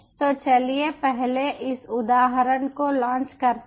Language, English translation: Hindi, so lets launch another two instances